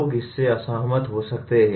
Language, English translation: Hindi, People may disagree with that